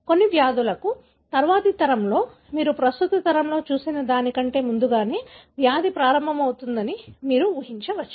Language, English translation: Telugu, For certain diseases, you can anticipate that in the next generation the disease onset is going to be earlier than what you have seen in the current generation